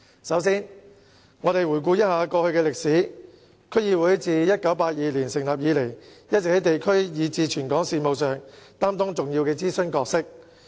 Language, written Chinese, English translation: Cantonese, 首先，回顧過去的歷史，區議會自1982年成立以來，一直也在地區以至全港事務上擔當重要的諮詢角色。, Firstly in retrospect let us recap some history . Since establishment in 1982 DCs have all along played an important advisory role in district and even territory - wide affairs